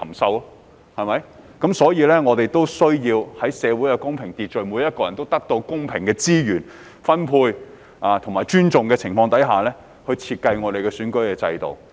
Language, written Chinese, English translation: Cantonese, 我們的社會需要有公平秩序，並在每個人皆獲得公平資源分配和尊重的情況下，設計我們的選舉制度。, While our society needs fairness and order our electoral system should be designed on the premise that everyone is given a fair share of resources and treated with respect